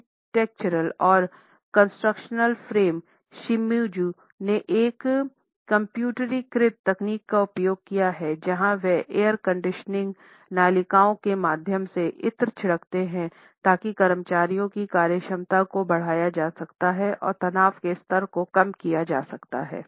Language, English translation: Hindi, The architectural and construction firm Shimizu has developed computerized techniques to deliver scents through air conditioning ducts, so that the efficiency of the employees can be enhanced and the stress level can be reduced